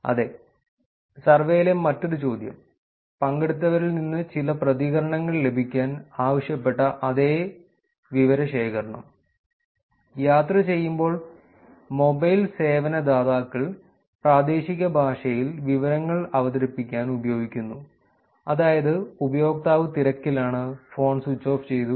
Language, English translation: Malayalam, Another question in the same survey, same data collection, which was asked to get some responses from participants While traveling the mobile service providers use regional languages to present information, that is, user busy, phone switched off